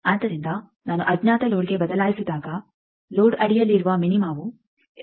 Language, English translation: Kannada, So, when we have changed that to unknown load then nearest minima under load is at 2